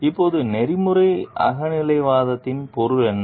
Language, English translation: Tamil, Now, what is the meaning of ethical subjectivism